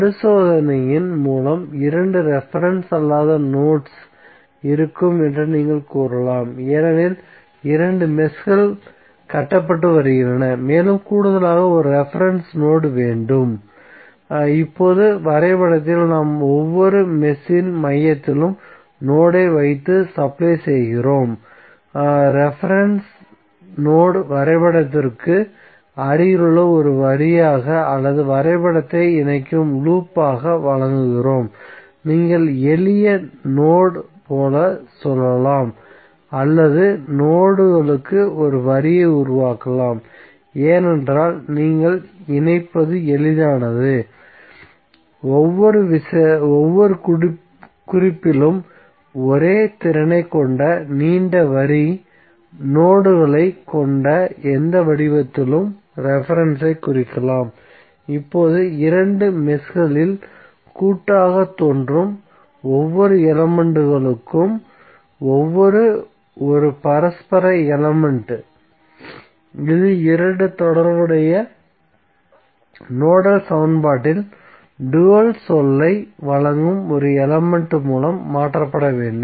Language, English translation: Tamil, So, by inspection also you can say that there would be two non reference nodes because there are two meshes being constructed plus you need to additionally have one reference node, now on the diagram we place node at the center of each mesh and supply the reference node as a line near the diagram or the loop enclosing the diagram, so you can say like simple node or you can create a line for nodes, because it is easier for you to connect so you can represent reference in any form like long line having nodes at each note having same potential, now each element that appears jointly in two meshes each a mutual element, so it must be replaced by an element that supplies the dual term in the two corresponding nodal equation